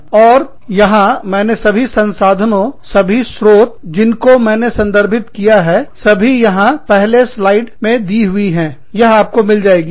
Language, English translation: Hindi, And so, all the resources, all the sources, that i have referred to, are here, on the first slide, that you will get